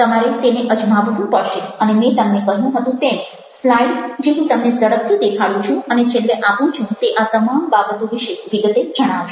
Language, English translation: Gujarati, you will have to test it out and the slide, as i told you, which i quickly show and share at the end, tells you details about all these things